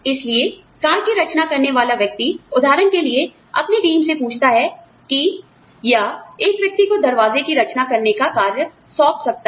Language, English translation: Hindi, So, the person designing the car, for example, may ask his or her team, to decide, you know, or may assign the task of designing doors, to one person